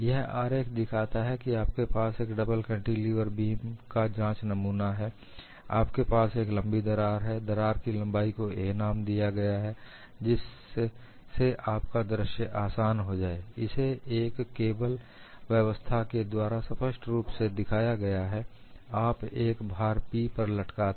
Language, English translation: Hindi, What this sketch shows is, you have a double cantilever beam specimen, you have a long crack, the crack link is given as a, and to make your visualization easier, it clearly shows through a cable system, you are hanging a load P